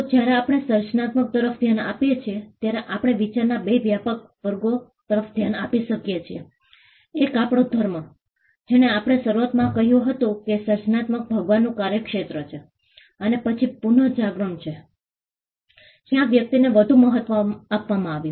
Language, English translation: Gujarati, So, when we look at creativity, we can look at 2 broad classes of thinking: one we had religion which initially told us creativity was the province of god and then we had the renaissance where the individual was given more importance